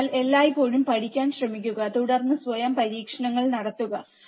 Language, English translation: Malayalam, So, always try to learn, and then perform the experiments by yourself